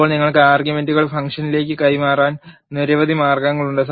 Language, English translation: Malayalam, Now, there are several ways you can pass the arguments to the function